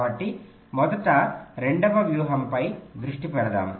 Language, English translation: Telugu, so let us concentrate on the second strategy first